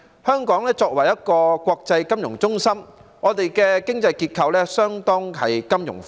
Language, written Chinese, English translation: Cantonese, 香港作為一個國際金融中心，經濟結構相當金融化。, As an international financial centre Hong Kongs economy has been highly financialized